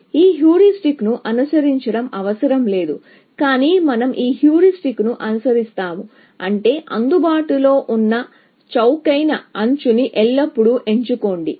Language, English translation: Telugu, It is not necessary to follow this heuristic, but let us say, we will follow this heuristic, which means, always pick the cheapest available edge